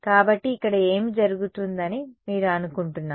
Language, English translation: Telugu, So, what do you think will happen over here